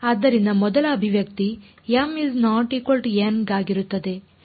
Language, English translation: Kannada, So, the first expression is for m not equal to n